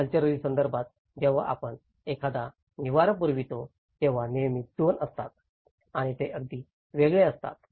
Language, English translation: Marathi, In a cultural context, when we are providing a shelter, there is always two and they are very distinct